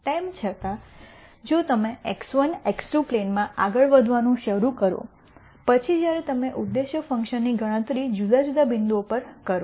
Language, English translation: Gujarati, Nonetheless if you start moving in the x 1, x 2 plane then when you compute the objective function at di erent points